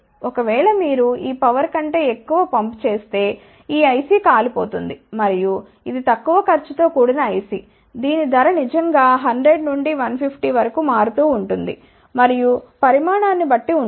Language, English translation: Telugu, If, you pump more than that power this IC may get burned and this is relatively low cost IC, you can actually see the price varies from 100 to 150, and depending upon the quantity